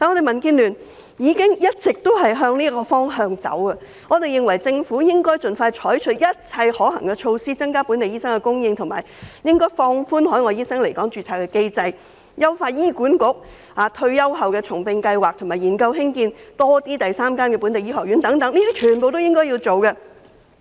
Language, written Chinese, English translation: Cantonese, 民建聯一直也是朝着這方向前進，我們認為政府應盡快採取一切可行的措施，以增加本地醫生的供應，例如放寬海外醫生來港註冊的機制、優化醫管局重聘退休員工的計劃，以及研究興建第三間本地醫學院等，這些全部都是政府應該做的事。, DAB has all along moved forward in this direction . In our view the Government should expeditiously adopt every practicable measure to increase the local supply of doctors such as relaxing the mechanism for the registration of overseas doctors in Hong Kong enhancing HAs scheme for rehiring retired staff and conducting a study on the development of the third local medical school . All of these are what the Government should do